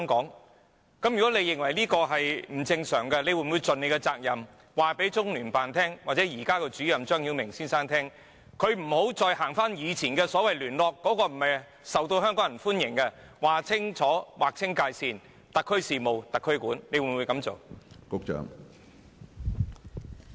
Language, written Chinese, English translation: Cantonese, 如果局長認為這做法不正常，他會否盡責任，告訴中聯辦或現任主任張曉明先生，請他不要再使用以往的所謂聯絡方法，因為那並不受香港人歡迎，而是要劃清界線，"特區事務特區管"，局長會否這樣做？, If the Secretary thinks that this is abnormal will he do his job and tell CPGLO or its incumbent Director Mr ZHANG Xiaoming to stop the so - called liaison practices in the past and to draw a clear line and leave the affairs of Hong Kong to the SAR Government? . Hong Kong people do not welcome such practices in the past at all